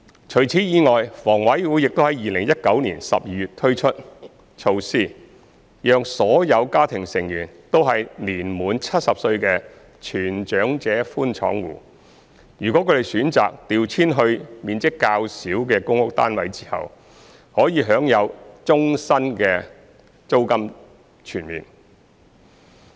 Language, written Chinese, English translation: Cantonese, 除此以外，房委會亦於2019年12月推出措施，讓所有家庭成員均年滿70歲的全長者寬敞戶，如他們選擇調遷至面積較小的公屋單位後，可享有終身租金全免。, Besides in December 2019 HA introduced a measure whereby under - occupation households whose family members are all aged 70 or above will enjoy full rent exemption for life if they choose to move to smaller PRH units